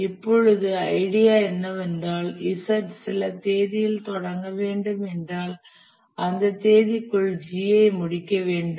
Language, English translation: Tamil, The idea is that until if we find that Z needs to start on some date, G has to complete by that date